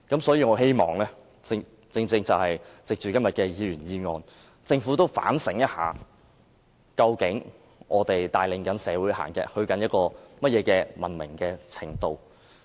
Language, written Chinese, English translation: Cantonese, 所以，我希望藉着今天的議員議案，讓政府反省一下，究竟我們帶領社會走向哪種文明程度。, Therefore I hope todays Members motion will make the Government to reflect on itself and to examine to what degree of civilization is it leading us to